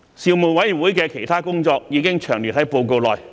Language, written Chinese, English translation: Cantonese, 事務委員會的其他工作已詳列於報告內。, The details of the work of the Panel in other areas are set out in its report